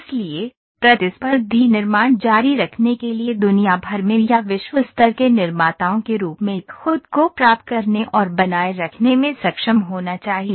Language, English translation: Hindi, So, in order to continue to be competitive manufacture should be able to attain and sustain themselves as worldwide or world class manufacturers